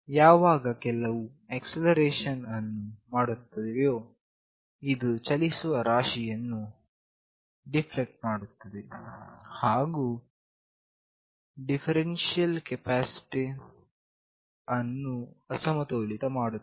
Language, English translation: Kannada, When some acceleration is made this deflects the moving mass, and unbalances the differential capacitor